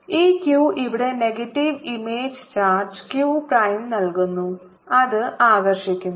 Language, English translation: Malayalam, the potential is there because this q gives a negative image, charge here q prime, and that attracts it